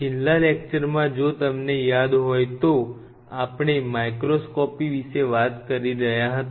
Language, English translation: Gujarati, So, in the last class if you recollect we were talking about the microscopy